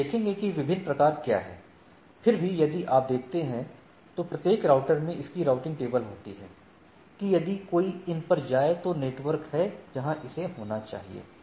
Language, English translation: Hindi, We will look at that what are the different types nevertheless if you see, every router is having its routing table, that if one on to go to these are these networks where it should fall